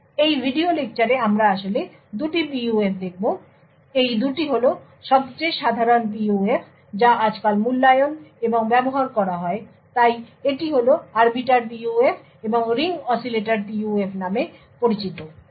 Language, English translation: Bengali, So, in this video lecture we will actually look at two PUFs; these are the 2 most common PUFs which are evaluated and used these days, So, this is the Arbiter PUF and something known as the Ring Oscillator PUF